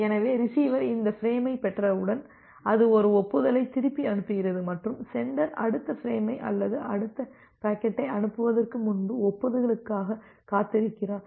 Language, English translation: Tamil, So, once the receiver receives this frame, it sends back an acknowledgement and the sender it waits for the acknowledgement before sending the next frame or the next packet